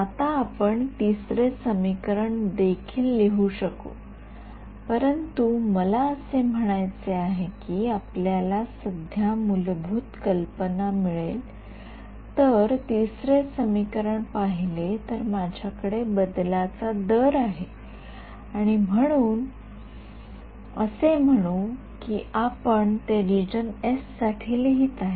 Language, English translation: Marathi, Now we could also write the third equation, but I mean you will got the basic idea for now if I look at the third equation I have rate of change let us say I am writing it for the region s